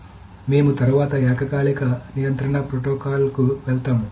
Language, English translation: Telugu, So, we will next move on to concurrency control protocols